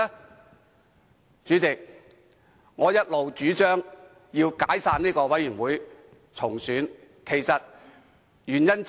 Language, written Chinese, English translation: Cantonese, 代理主席，這正是我一直主張解散專責委員會重選的原因之一。, Deputy President this is one of the reasons why I have always advocated the dissolution of the Select Committee and the re - election of its members